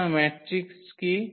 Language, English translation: Bengali, So, what is the matrix